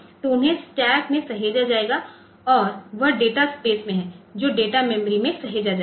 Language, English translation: Hindi, So, they will be saved in the stack and that is in the data space that will be saved in the data memory